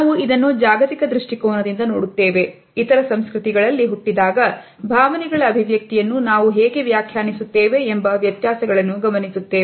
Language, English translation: Kannada, We look at this from a global perspective, the differences in how we interpret the expression of emotions when they originate in other cultures